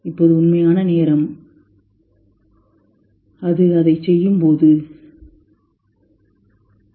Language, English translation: Tamil, Now real time is when it is just doing it